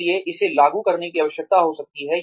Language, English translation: Hindi, So, that may need to be enforced